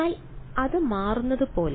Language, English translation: Malayalam, But as it turns out